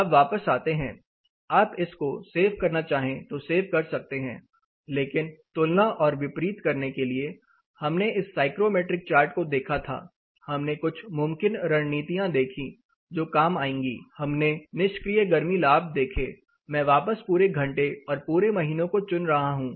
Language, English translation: Hindi, Now getting back to say you know if you want to save this you can save, but to compare un contrast you know, we looked at this particular psychrometric chart we looked at a set of you know possible strategies that would work, we were looking at different strategies passive heat gains, I will go back to all hours all months this set of strategies